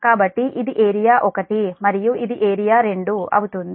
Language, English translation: Telugu, so this is area one and this is area two